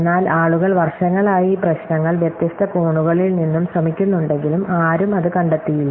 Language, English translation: Malayalam, But people have been trying these problems from different angles from many years, now and nobodies have found one